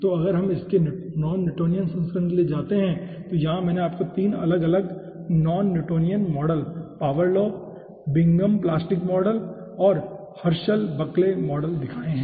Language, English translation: Hindi, so here i have shown you 3 different non newtonian models: power law, bingham plastic model and herschel buckley model